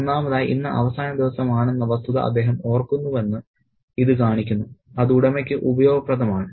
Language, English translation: Malayalam, One, it shows that he remembers the fact that today is the last day and that is useful for the owner